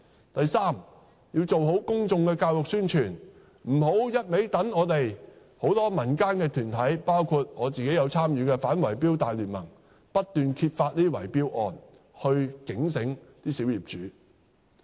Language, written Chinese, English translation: Cantonese, 第三，政府必須做好公眾教育宣傳，不要只靠民間團體，包括我自己有參與的反圍標大聯盟不斷揭發這些圍標案來提醒小業主。, Third the Government must make an effort to conduct public education and publicity rather than relying only on non - governmental organizations including the anti bid - rigging alliance in which sees my involvement to expose bid - rigging cases and remind the small owners to be alert